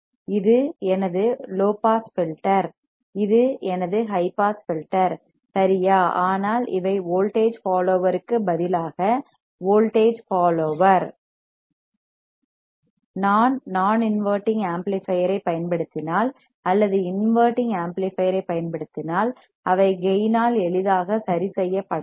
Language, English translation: Tamil, This is my low pass filter, this is my high pass filter right, but these are just voltage follower instead of voltage follower, if I use a non inverting amplifier or if use an inverting amplifier, they can be easily tuned by gain